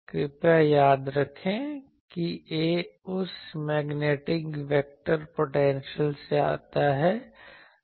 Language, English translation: Hindi, Please remember those A is come from that magnetic vector potential